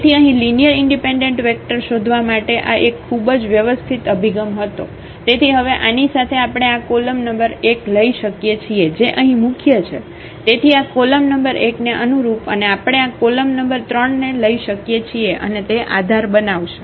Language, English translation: Gujarati, So, this was a very systematic approach to found out the linearly independent vectors here So, now, with this we have we can take this column number 1 which has the pivot here, so the corresponding this column number one and we can take this column number 3 and they will form the basis